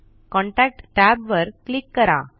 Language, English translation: Marathi, Click the Contact tab